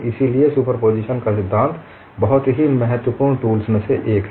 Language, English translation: Hindi, So principle of superposition is one of the very important tools